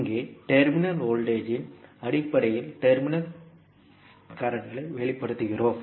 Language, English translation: Tamil, Here, we are expressing the terminal currents in terms of terminal voltages